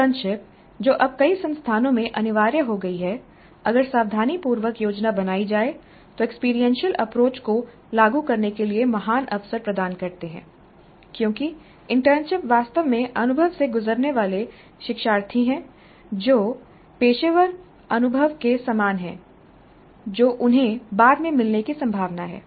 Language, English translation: Hindi, Internships which now have become mandatory in many institutes if planned carefully provide great opportunities for implementing experiential approach because internship in some sense is actually the learners going through experience which is quite similar to the professional experience that they are likely to get later